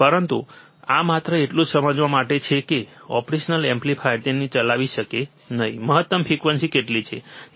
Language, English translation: Gujarati, But this is just to understand what is the maximum frequency that operational amplifier can operate it